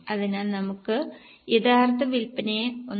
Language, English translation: Malayalam, So, we can multiply the original sales by 1